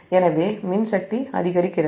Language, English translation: Tamil, so electrical power increases